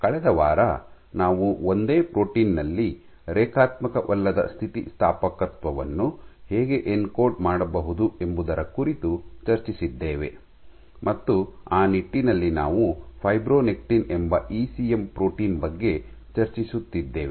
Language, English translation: Kannada, The last week we had discussed about how non linear elasticity can be encoded in a single protein, and in that regard, we were discussing about this ECM protein called fibronectin